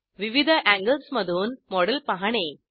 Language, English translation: Marathi, View the model from various angles